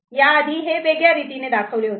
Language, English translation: Marathi, Earlier we had shown it at a separate manner